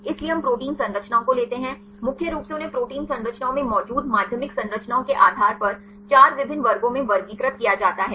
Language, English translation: Hindi, So, we take the protein structures, mainly they are classified into 4 different classes depending upon the secondary structures present in protein structures right